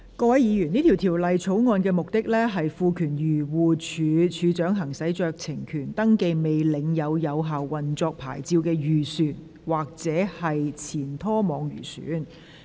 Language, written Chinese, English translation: Cantonese, 各位議員，這項條例草案的目的是賦權漁護署署長行使酌情權，登記未領有有效運作牌照的漁船或前拖網漁船。, Members the purpose of this Bill is to empower the Director of Agriculture Fisheries and Conservation to exercise discretionary power for the registration of fishing vessels or former trawlers that did not possess a valid operating licence